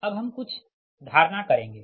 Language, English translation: Hindi, right now, we will make certain assumptions